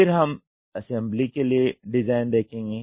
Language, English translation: Hindi, Then we will see design for assembly